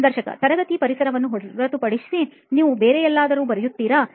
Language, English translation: Kannada, Other than the classroom environment, do you write anywhere else